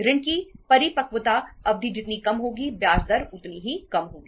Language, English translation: Hindi, Shorter the maturity period of the loan, lesser is the interest rate